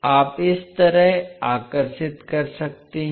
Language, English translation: Hindi, You can draw like this